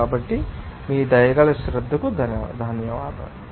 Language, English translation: Telugu, So, thank you for your kind attention